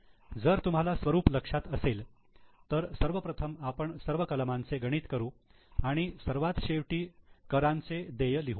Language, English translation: Marathi, If you remember the format, we will calculate first all items and at the end we write the payment of taxes